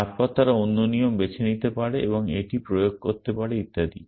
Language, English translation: Bengali, Then they may pick another rule and apply it and so on and so forth